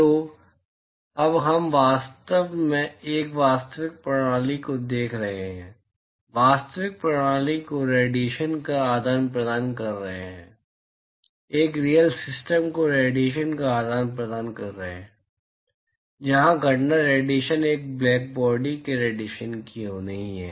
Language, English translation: Hindi, So, now we are really looking at a real system, looking at real system exchanging radiation, looking at a real system exchanging radiation where the incident irradiation is not that of a black body radiation